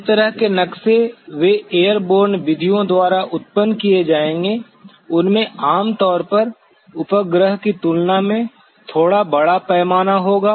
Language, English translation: Hindi, The kind of maps that they will be generated by airborne methods will usually have a larger bit larger scale than that of the satellite